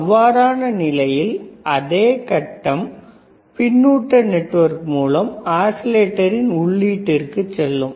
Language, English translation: Tamil, In that case the same phase will go to the input of the oscillator through feedback network